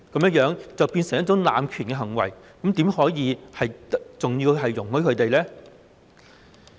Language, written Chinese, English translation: Cantonese, 這樣便會變成濫權的行為，怎可以容許他們這樣做呢？, Such practices will constitute abuse of power . How can we allow them to do so?